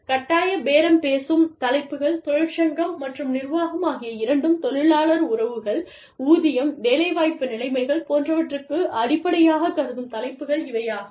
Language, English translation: Tamil, Mandatory bargaining topics are topics, that both union and management, consider fundamental, to the organization's labor relations, wages, employment conditions, etcetera